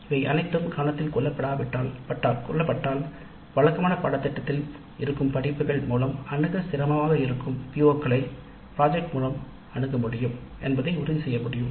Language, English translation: Tamil, If we take care of all these issues then we can ensure that the main project addresses all these POs which are very difficult to address through conventional courses